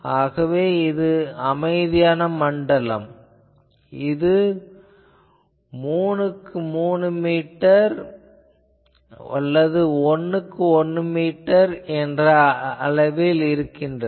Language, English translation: Tamil, So, that quite zone typically 3 meter by 3 meter or 1 meter by 1 meter etc